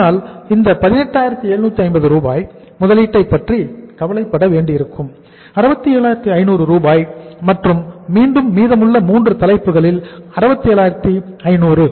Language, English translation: Tamil, We will have to worry about the investment of this 18,750; 67,500 and again the 67,500 of the remaining 3 heads